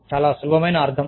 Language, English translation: Telugu, Very simple meaning